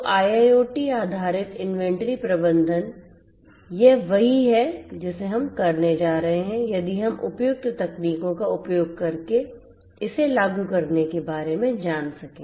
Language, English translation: Hindi, So, IIoT based inventory management this is what we are going to achieve if we can you know implement it using suitable technologies